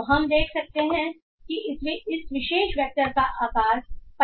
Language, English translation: Hindi, So we can find that the size of this particular vector is of 50